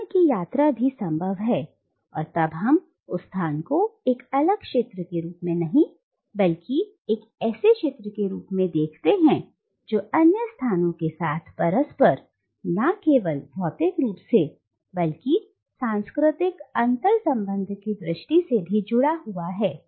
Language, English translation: Hindi, And the moment travel is possible then we conceive that space not as an isolated area but as an area which is interconnected with other places and not only in terms of physical interconnectedness but also in terms of cultural interconnectedness